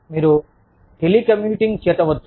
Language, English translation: Telugu, You could include, telecommuting